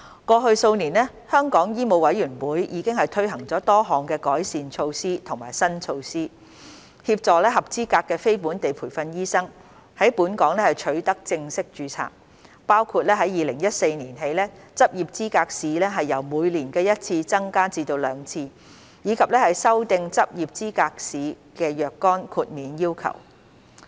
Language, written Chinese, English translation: Cantonese, 過去數年，香港醫務委員會已推行多項改善措施和新措施，協助合資格的非本地培訓醫生在本港取得正式註冊，包括自2014年起將執業資格試的考試次數由每年一次增至每年兩次，以及修訂執業資格試的若干豁免要求。, Over the past few years the Medical Council of Hong Kong MCHK has introduced various improvement measures and new measures to help qualified non - locally trained doctors obtain full registration in Hong Kong including increasing the frequency of the Licensing Examination from once to twice a year starting from 2014 and revising certain exemption requirements for the Licensing Examination